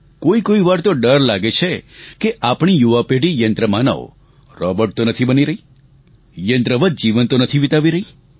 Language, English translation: Gujarati, Sometimes you feel scared that our youth have become robot like, living life like a machine